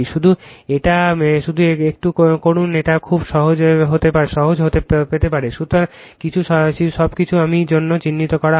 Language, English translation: Bengali, Just justdo it little bit yourself you will get it very simple, right, but everything I am marked for you